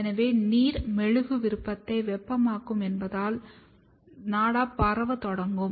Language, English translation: Tamil, So, as the water will heat the wax will, the ribbon will starts spreading